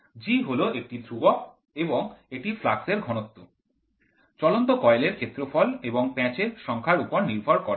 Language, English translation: Bengali, G is a constant and it is independent of flux density the moving of the area of the moving coil and the number of turns